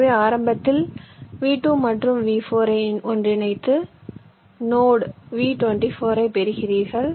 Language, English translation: Tamil, so initially you merge v two and v four to get a node: v two, four